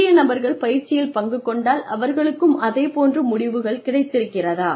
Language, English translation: Tamil, If you get new people, are they going to show you the same results